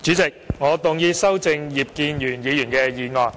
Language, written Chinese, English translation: Cantonese, 主席，我動議修正葉建源議員的議案。, President I move that Mr IP Kin - yuens motion be amended